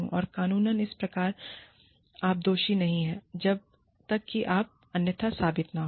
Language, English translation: Hindi, And, the law follows that, you are not guilty, unless you are proven otherwise